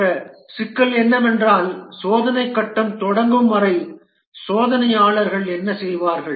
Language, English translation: Tamil, And the other problem is that what do the testers do till the testing phase starts, what do they do